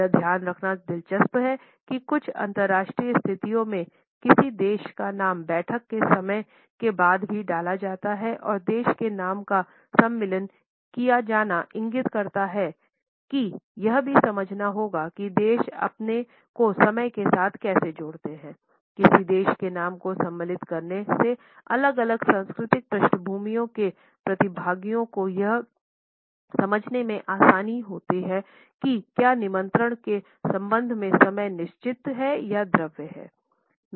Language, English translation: Hindi, It is interesting to note that in certain international situations the name of a country is also inserted after the time of the meeting is given and the insertion of the name of a country indicates that, one also has to understand how the particular country associates itself with time the insertion of the name of a country allows the participants from different cultural backgrounds to understand if the time is fixed or fluid as far as the invitation is concerned